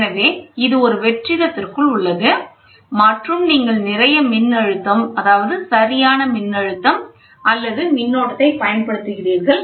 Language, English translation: Tamil, So, this is inside a vacuum and you apply lot of voltage, right voltage or current